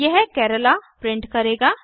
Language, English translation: Hindi, It will print Kerala